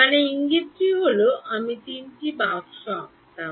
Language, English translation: Bengali, I mean the hint is that I would have drawn three boxes